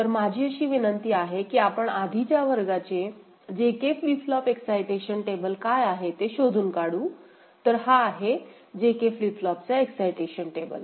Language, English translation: Marathi, So, then we shall invoke, we shall figure out what is the JK flip flop excitation table from our earlier class; we know that JK flip flop excitation table is this one